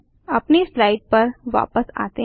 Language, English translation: Hindi, Let us switch back to our slides